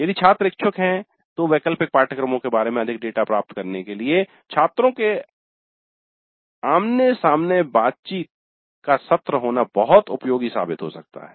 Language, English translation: Hindi, If the students are willing in fact it may be very useful to have an exit face to face interaction session to get more data regarding the elective courses